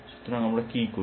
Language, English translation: Bengali, So, we do what